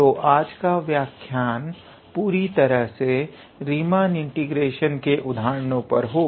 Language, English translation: Hindi, So, today’s lecture will be all about the examples on Riemann integration